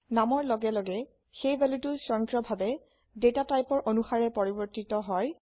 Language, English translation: Assamese, As the name goes, the value is automatically converted to suit the data type